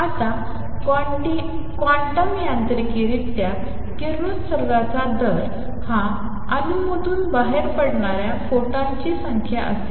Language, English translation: Marathi, Now, quantum mechanically, the rate of radiation would be the number of photons coming out from an atom